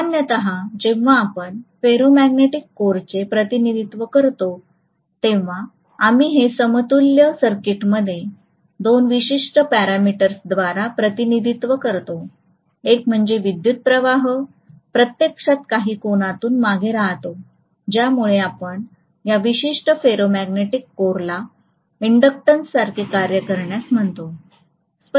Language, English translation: Marathi, So generally, when we represent a ferromagnetic core, we represent this by two specific parameters in its equivalent circuit, one is the current is actually lagging behind by certain angle because of which, we call this particular ferromagnetic core to be acting like an inductance